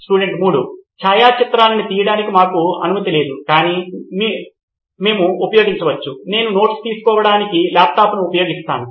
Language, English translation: Telugu, We are not allowed to take photographs as such but you can use, I use a laptop to take notes